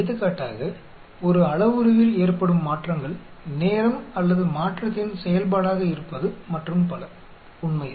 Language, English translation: Tamil, Like for example, changes in a parameter as a function of time or change and so on actually